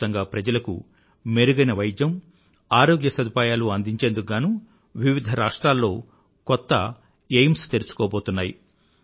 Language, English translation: Telugu, New AIIMS are being opened in various states with a view to providing better treatment and health facilities to people across the country